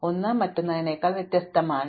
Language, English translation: Malayalam, One is more obvious than the other